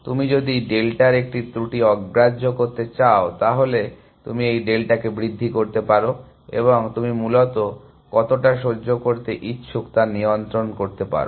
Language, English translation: Bengali, So, if you are willing to tolerate an error of delta, then you can increment this delta and you can control how much you have willing to tolerate by essentially